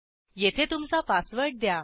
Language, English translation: Marathi, Give your password here